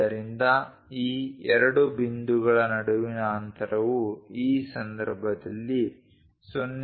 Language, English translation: Kannada, So, the distance between these two points is 0